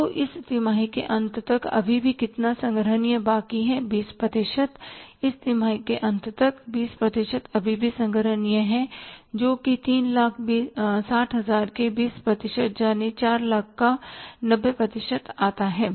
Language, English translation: Hindi, 20% by the end of this quarter, 20% is still collect still collectible that works out as that 20% of the 3,60,000 which is 90% of the 4 lakhs